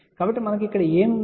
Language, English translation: Telugu, So, what we have here